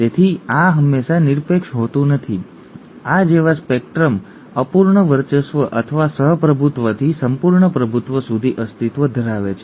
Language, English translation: Gujarati, So this is not always absolute, a spectrum such as this exists from incomplete dominance or co dominance to complete dominance